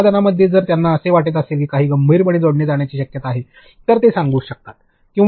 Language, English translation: Marathi, In the product if they think that something needs to be seriously added, they can tell it